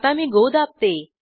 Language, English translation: Marathi, Let me press go